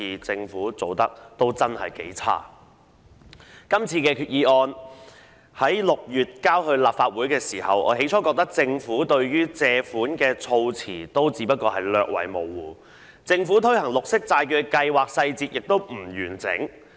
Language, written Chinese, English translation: Cantonese, 這項擬議決議案在6月提交立法會時，我最初覺得政府有關借款的措辭略為模糊，政府推行綠色債券計劃的細節亦不完整。, When this proposed Resolution was presented to the Legislative Council in June I initially found the wording in relation to borrowings quite vague and the implementation details of the Green Bond Programme incomplete